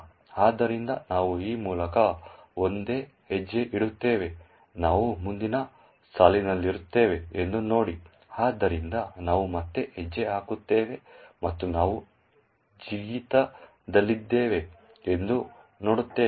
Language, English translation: Kannada, step through this, see that we are in the next line, so we step again and see that we are at the jump